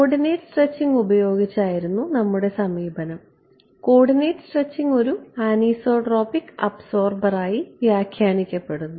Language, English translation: Malayalam, Our approach was by using coordinate stretching; coordinate stretching was interpreted as a anisotropic absorber ok